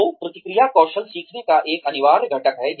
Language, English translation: Hindi, So, feedback is an essential component of skill learning